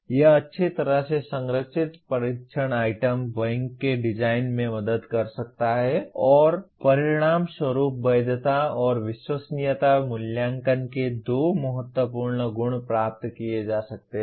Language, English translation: Hindi, It can help in the design of well structured test item banks and consequently the validity and reliability, two important properties of assessment can be achieved